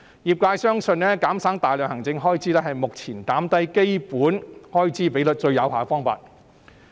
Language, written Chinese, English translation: Cantonese, 業界相信減省大量行政開支是目前減低基本開支比率最有效的方法。, In the opinion of the trade it will be most effective to lower the fund expense ratio by slashing the administration expenses